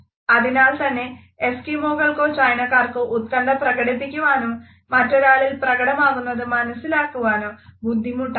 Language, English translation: Malayalam, Thus, would be a challenge for Eskimos or the Chinese to express anxiety or interpret it in other